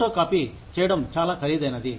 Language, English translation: Telugu, Photocopying was very expensive